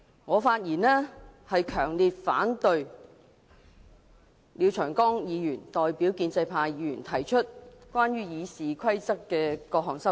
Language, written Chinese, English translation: Cantonese, 我發言，為了強烈反對廖長江議員代表建制派議員提出關於《議事規則》的各項修訂。, My speech aims to express strong objection to the various amendments to RoP proposed by Mr Martin LIAO on behalf of pro - establishment Members